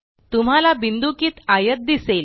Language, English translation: Marathi, You will see a dotted rectangle